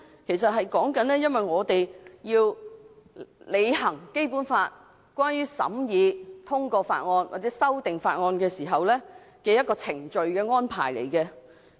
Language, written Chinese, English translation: Cantonese, 其實那是我們在履行《基本法》規定職能，在審議法案或修訂法案時的一個程序安排。, Actually it is a procedural arrangement for scrutinizing or amending bills during our performance of the functions and duties under the Basic Law